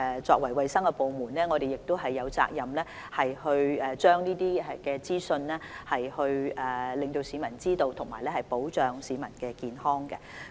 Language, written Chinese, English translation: Cantonese, 作為衞生部門，我們有責任讓市民知悉這些資訊，以及保障市民的健康。, As a hygiene department we are duty - bound to provide people with such information and protect their health